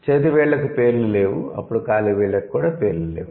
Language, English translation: Telugu, Fingers do not have names, toes do not have names, okay